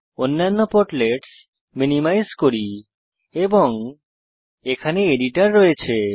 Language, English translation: Bengali, Let us minimise the other portlets and here we have the editor